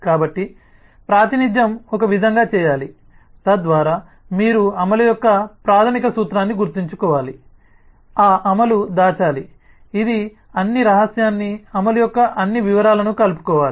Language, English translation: Telugu, so representation should be done in a way so that you remember the basic principle of the implementation that implementation must hide, it must encapsulate all the secret, all the details of the implementation couple of modules back